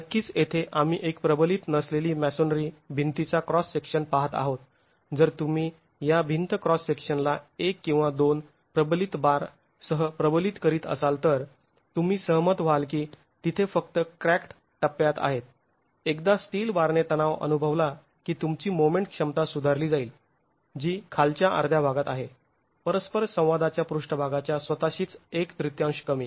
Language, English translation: Marathi, If you were to reinforce this wall cross section with one or two reinforcement bars, then you will agree that it is only in the cracked phase, once the steel bars start experiencing tension, you will have improved moment capacity which is in the lower half, in the lower one third of the interaction surface itself